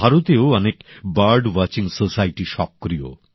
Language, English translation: Bengali, In India too, many bird watching societies are active